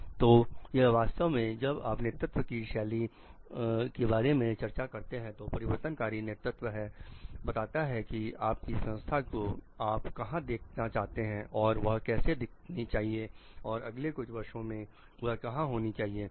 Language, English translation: Hindi, So, it is an actually when you are discussing leadership style strands transformational leadership is where you want your organization to become how it should appear and what it should do in the next few years